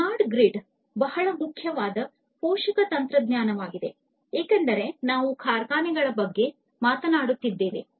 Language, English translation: Kannada, So, smart grid is also a very important supporting technologies for building smart factories